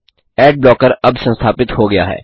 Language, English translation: Hindi, Ad blocker is now installed